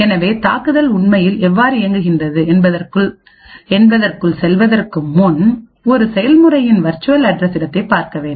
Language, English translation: Tamil, So, before we go into how the attack actually works, we would have to look at the virtual address space of a process